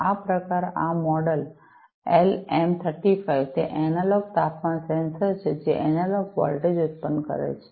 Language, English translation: Gujarati, This variant, this model, LM 35 is it a is an analog temperature sensor, that generates analog voltage